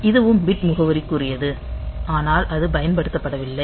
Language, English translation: Tamil, So, this is also bit addressable, but it is not used